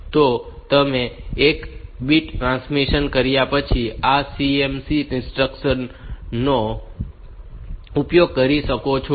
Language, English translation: Gujarati, So, you can use this CMC instruction after transmitting the one bit